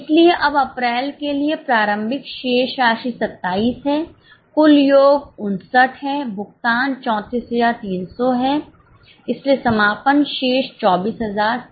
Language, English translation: Hindi, So, for April now the opening balance is 27, total is 59, payments are 34 300, so closing balance is 24, 700